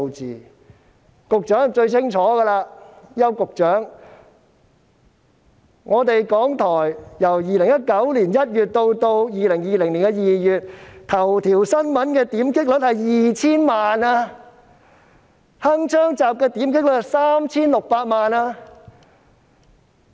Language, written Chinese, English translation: Cantonese, 邱局長應該最清楚，港台在2019年1月至2020年2月期間，"頭條新聞"的點擊率是 2,000 萬次，"鏗鏘集"的點擊率則是 3,600 萬次。, Secretary Edward YAU should know very well that from January 2019 to February 2020 the hit rate of Headliner of RTHK was 20 million whereas that of Hong Kong Connection was 36 million